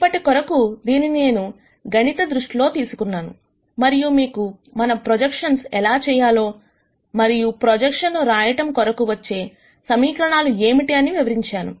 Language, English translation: Telugu, For now, I am just going to treat this mathematically, and then explain to you how we do projections and what are the equations that we can get for writ ing down projections